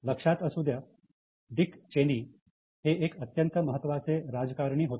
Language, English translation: Marathi, Keep in mind, Dick Cheney was a very important politician